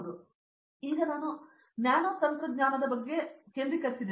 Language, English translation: Kannada, So, now I am actually focusing on say nanotechnology